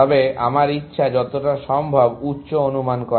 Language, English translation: Bengali, But, all my desire is to get as high an estimate as possible